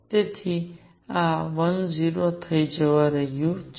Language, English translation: Gujarati, So, this is going to be 10